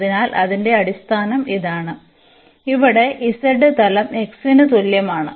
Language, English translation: Malayalam, So, whose base is this and the plane here z is equal to x yeah